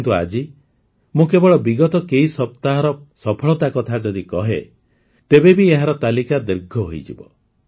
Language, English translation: Odia, But, today, I am just mentioning the successes of the past few weeks, even then the list becomes so long